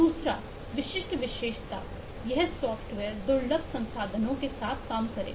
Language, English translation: Hindi, second typical characteristic would be this software work with scarce resources